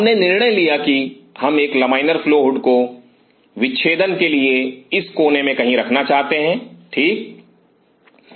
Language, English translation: Hindi, So, we decided that we wanted to put a laminar flow hood somewhere in this corner for dissection ok